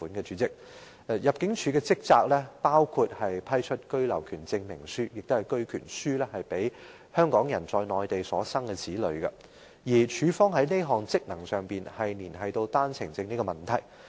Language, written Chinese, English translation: Cantonese, 主席，入境處的職責包括批出居留權證明書予香港人在內地所生子女，而入境處這項職能連繫到單程證問題。, President the duties of ImmD include the granting of the Certificate of Entitlement to the Right of Abode COE in the Hong Kong Special Administrative Region to children of Hong Kong citizens born in the Mainland and this function of ImmD is linked to the One - Way Permits OWPs